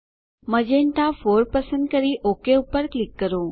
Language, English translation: Gujarati, Choose Magenta 4 and click OK